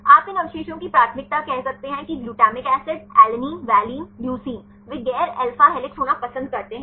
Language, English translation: Hindi, You could see the preference of these residues say glutamic acid, alanine, valine, leucine they prefer to be non alpha helix right